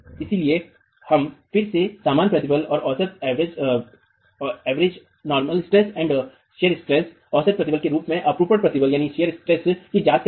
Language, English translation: Hindi, So, we are examining again the normal stress and the shear stress as average stresses